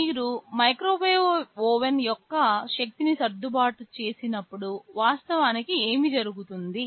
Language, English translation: Telugu, When you adjust the power of the microwave oven what actually happens